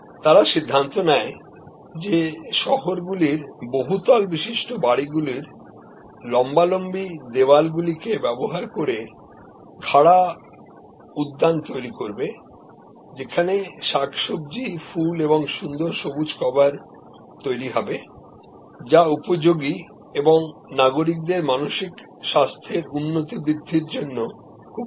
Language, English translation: Bengali, And the decided to look at this area of urban, vertical gardens using the vertical surface of tall high rise buildings to grow vegetables, flowers and beautiful green cover which is productive as well as very good for mental health of citizens